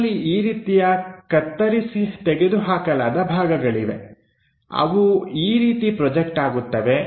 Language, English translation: Kannada, We have these kind of cut which will be projection as that